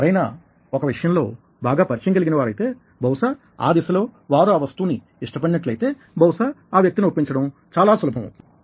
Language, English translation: Telugu, however, when somebody is familiar with something, probably in that direction, and if somebody likes that thing, it's probably much easier to persuade that person